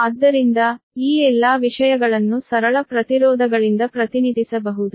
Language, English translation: Kannada, all these things can be represented by simple impedances, right